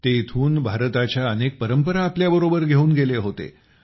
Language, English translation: Marathi, They also took many traditions of India with them from here